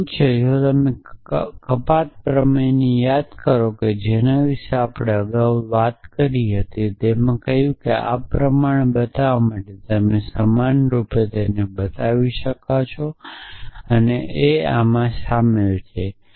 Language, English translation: Gujarati, So, what is it, so if you recall the deduction theorem that we had talked about earlier it said that to show this follows on this you are equivalently showing that this and this entails this